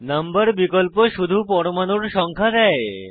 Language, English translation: Bengali, Number option will give only numbering of atoms